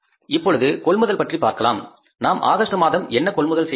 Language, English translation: Tamil, Now what about the purchases which we made in the month of August which we have to pay